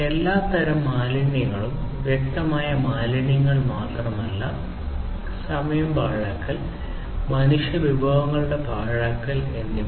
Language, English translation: Malayalam, Wastes of all kinds not just the tangible wastes, but wastage of time waste, you know, wastage of human resources, and so on